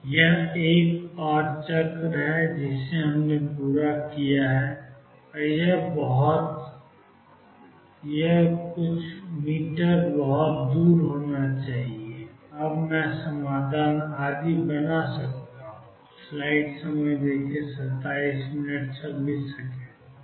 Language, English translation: Hindi, This is another cycle we have completed this m should be way away and now I can build up the solution and so on